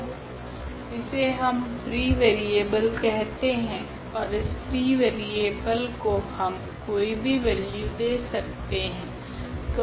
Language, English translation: Hindi, So, this is what we call the free variable and this free variable we can assign any value we like